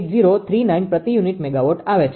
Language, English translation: Gujarati, 0098039 per unit megawatt, right